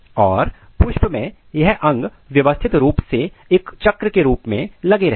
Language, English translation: Hindi, And in a flower all these organs are properly organized and arranged, so they arrange in form of whorl